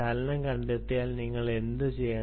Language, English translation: Malayalam, right, if the motion is detected, what should you do